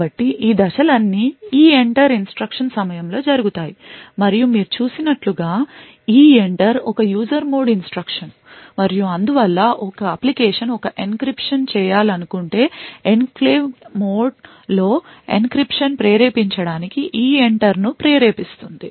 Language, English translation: Telugu, So, all of these steps are done during the EENTER instruction and as you as we have seen EENTER is a user mode instruction and therefore an application for example wants to do an encryption would invoke EENTER to trigger the encryption in the enclave mode